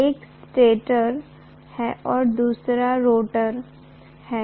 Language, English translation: Hindi, One is a stator, the other one is a rotor